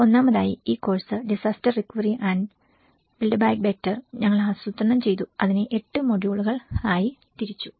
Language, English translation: Malayalam, First of all, this course, the way we planned disaster recovery and build back better, so it has 8 modules